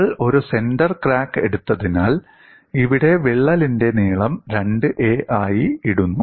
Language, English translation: Malayalam, Because we have taken a center crack, here the crack length is put as 2a